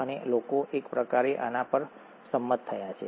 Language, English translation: Gujarati, And people have, kind of, agreed on this